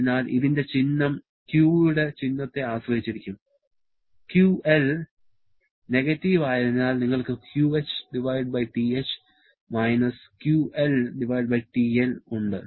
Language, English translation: Malayalam, So, the symbol of this one will depend upon the symbol of Q, so you have QH/TH QL/TL because QL is negative